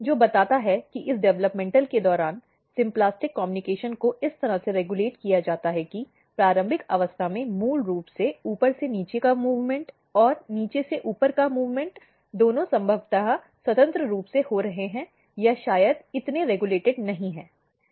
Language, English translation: Hindi, Which suggests that during this developmental, the symplastic communication is regulated in a way that in the early stage basically top to bottom movement and bottom to top movement both are occurring probably freely or maybe not so regulated